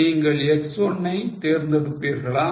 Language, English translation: Tamil, Do you prefer X1 or do you prefer X2